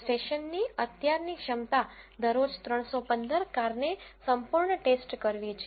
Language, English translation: Gujarati, The current capacity of the station is to check the 315 cars thoroughly per day